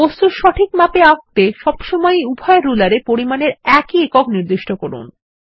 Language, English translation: Bengali, To make sure that the objects are drawn to scale, always set the same units of measurements for both rulers